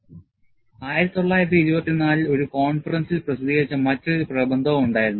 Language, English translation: Malayalam, There was also another paper published in a conference in 1924